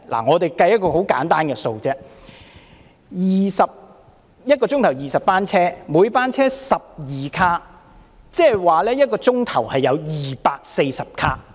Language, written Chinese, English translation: Cantonese, 我們簡單計算一下 ，1 個小時20班車，每班車12卡，即是1小時有240卡。, There are 20 trips per hour and each train is comprised of 12 cars so there are 240 cars operating in an hour